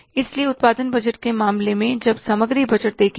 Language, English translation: Hindi, So, in case of the production budget, we will see the inventory budget